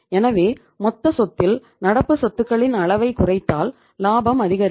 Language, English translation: Tamil, So it means if you reduce the extent of current assets in the total asset the profit is going to increase